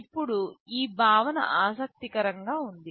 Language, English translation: Telugu, Now this concept is interesting